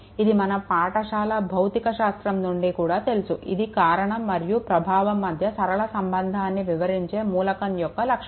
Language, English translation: Telugu, This you this you know even from your higher secondary physics this you know that is a property of an element describing a linear relationship between cause and effect right